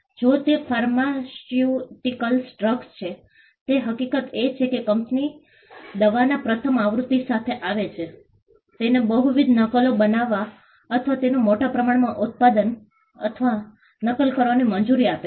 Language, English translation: Gujarati, If it is a pharmaceutical drug the fact that the company came up with the first version of the drug allows it to make or mass produce or duplicate multiple copies